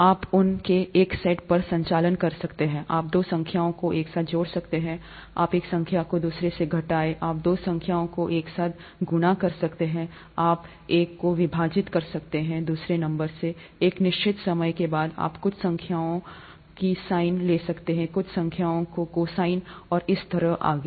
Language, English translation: Hindi, You can perform a set of operations on them, you can add two numbers together, you can subtract one number from another, you can multiply two numbers together, you can divide one number by another, you can; if after a certain while, you can take the sine of certain numbers, cosine of certain numbers, and so on so forth